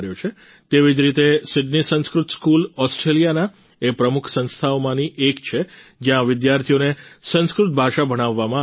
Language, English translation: Gujarati, Likewise,Sydney Sanskrit School is one of Australia's premier institutions, where Sanskrit language is taught to the students